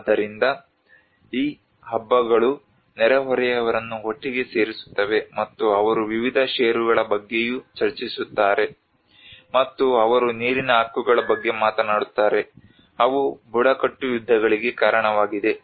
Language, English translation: Kannada, So these feasts also brings the neighbours together they also discuss various stocks, and they also talks about the water rights understandably have been the cause of tribal wars